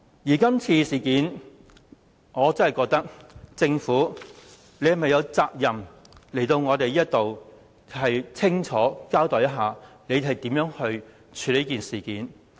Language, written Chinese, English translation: Cantonese, 就今次事件，我真的覺得政府有責任前來立法會清楚交代如何處理這事件。, Insofar as this incident is concerned I really think that the Government is obliged to attend before this Council to explain how to deal with it